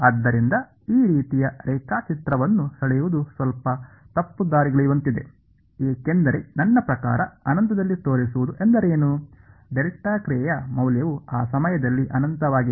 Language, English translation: Kannada, So, to draw a diagram like this is slightly misleading because what is it mean to show in infinite I mean, the value of the delta function is infinity at that point